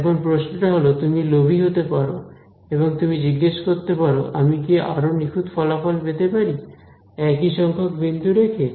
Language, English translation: Bengali, Now so, the question is you can be greedy and you can ask can I get better accuracy while still retaining the same number of points